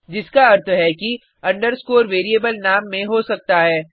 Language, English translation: Hindi, Which means an underscore is permitted in a variable name